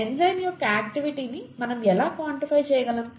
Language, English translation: Telugu, How do we quantify the activity of the enzyme, okay